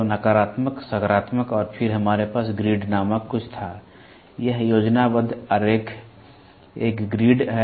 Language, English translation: Hindi, So, negative we had positive and then we had something called grid; this is schematic diagram, a grid